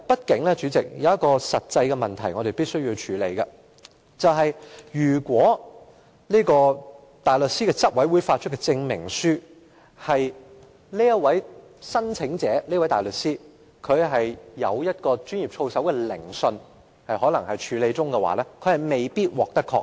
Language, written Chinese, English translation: Cantonese, 代理主席，畢竟有一個實際問題是我們必須處理的，就是如果香港大律師公會執委會發出的證明書指，該名大律師正在接受操守研訊，那麼申請人便有可能未必獲得認許。, Deputy President there is a practical question that we must address ie . if the certificate issued by the Bar Council of Hong Kong Bar Association states out that the applying barrister is undergoing disciplinary proceedings he may possibly not be admitted as a solicitor